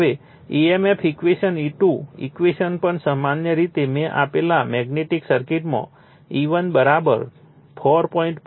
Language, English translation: Gujarati, Now, EMF equation thesE2 equations also in the magnetic circuit in general I have given, E1 = 4